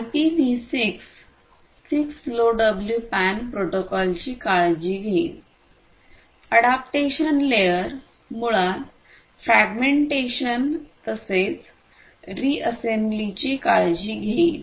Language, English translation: Marathi, So, this IPv6 will take care of not IPv6 the 6LoWPAN protocol, the adaptation layer will basically take care of both the fragmentation as well as the reassembly